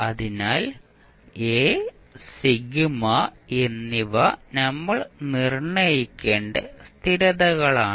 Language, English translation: Malayalam, So, a and sigma are constants which we have to determine